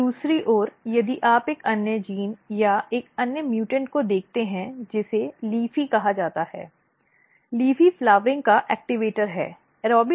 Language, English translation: Hindi, On the other hand if you look another gene or another mutant which is called leafy, LEAFY is activator of flowering